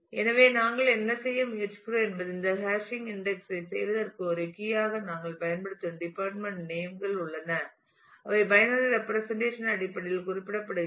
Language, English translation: Tamil, So, what we are trying to do is there is the department names which we are using as a key to do this hashing index and they are represented in terms of the binary representation